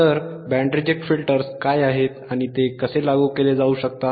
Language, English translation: Marathi, So, what are band reject filters and how it can be implemented